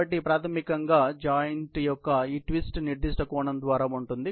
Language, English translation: Telugu, So, basically, this twist here of the joint is by certain angle